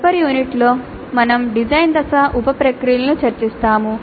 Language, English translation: Telugu, Now in the next unit we will discuss the design phase sub processes